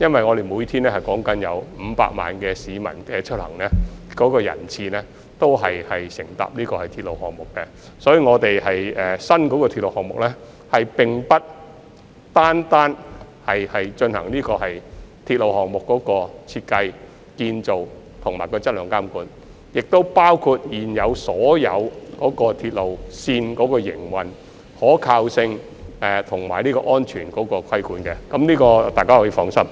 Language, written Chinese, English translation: Cantonese, 我們每天有高達500萬名市民出行，其中不少選乘鐵路，所以新鐵路部門並不會單單進行新建鐵路項目的設計、建造和質量監管，亦包括對所有現有鐵路線的營運、可靠性和安全規管，這點大家可以放心。, As many of the 5 million daily commuters choose to travel by railway the new railway department will not merely monitor the design construction and quality of railway projects but also the operation reliability and safety of all the existing railway lines . Members can be rest assured about this